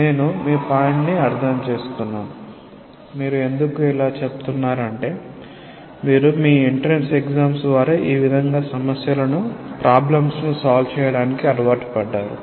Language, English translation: Telugu, I am getting your point; why you are telling this because you have been habituated in solving problems in that way through your entrance exams